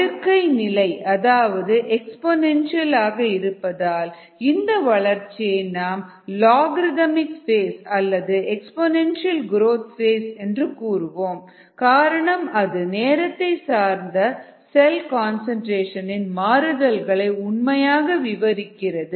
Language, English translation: Tamil, since this is exponential and this is a log, we call the phase as either an logarithmic phase, which corresponds to this, or an exponential growth phase, which actually describes the variation of cell concentration with type